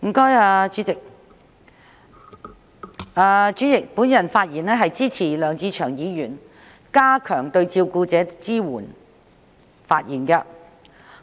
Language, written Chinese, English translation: Cantonese, 代理主席，我發言支持梁志祥議員動議的"加強對照顧者的支援"議案。, Deputy President I speak in support of Mr LEUNG Che - cheungs motion on Enhancing support for carers